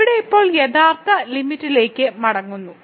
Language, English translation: Malayalam, So, here now getting back to the original limit